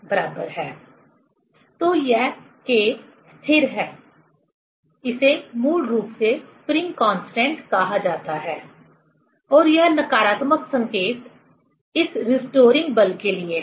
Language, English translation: Hindi, So, this K is constant; it is basically called spring constant and this negative sign is for this restoring force